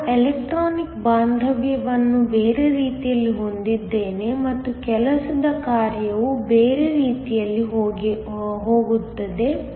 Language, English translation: Kannada, I have the electronic affinity going the other way and the work function also going in the other way